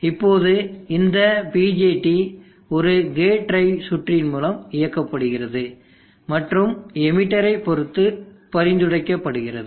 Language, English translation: Tamil, Now this BJT is driven by a gate drive circuit and that is referral with respect to the emitter